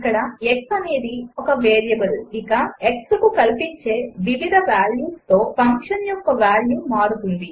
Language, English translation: Telugu, Here x is a variable and with different values of x the value of function will change